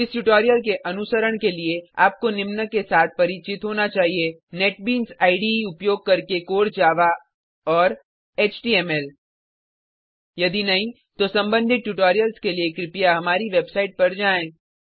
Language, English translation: Hindi, To follow this tutorial you must have knowledge of Core Java using Netbeans IDE and HTML If not, for relevant tutorials please visit our website